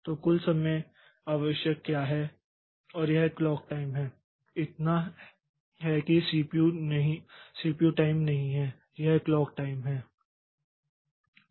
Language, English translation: Hindi, So, what is the total time needed and that is the clock time so that is not the CPU times, that is the clock time